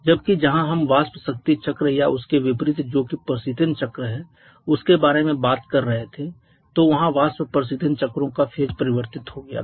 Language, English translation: Hindi, Whereas when he talked about the vapour power cycles or the reverse of that one that is the refrigeration cycles the vapour compression refrigeration cycles there we had change of phase